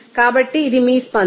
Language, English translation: Telugu, So, this is your reaction